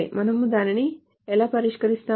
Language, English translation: Telugu, So how do we solve it